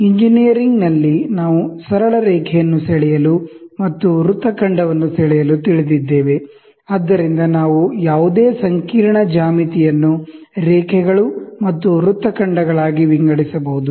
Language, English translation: Kannada, In engineering, if we know to draw a straight line and draw an arc, right, so then we can split any complicated geometry into lines and arcs